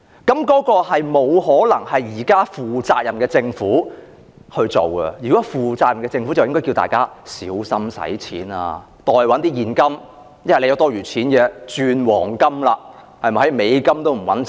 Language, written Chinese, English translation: Cantonese, 這不可能是負責任的政府所做的事，如果是負責任的政府，應該叫大家小心花費，持有現金，若有多餘錢便轉換為黃金，因為現時連美元也不穩了。, This is not what a responsible government would do . A responsible government should alert the public that they should spend cautiously hold cash and convert surplus cash into gold because US dollar is also unstable nowadays